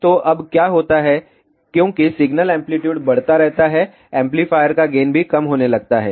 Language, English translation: Hindi, So, now, what happens as the signal amplitude keeps on increasing amplifier gain also starts reducing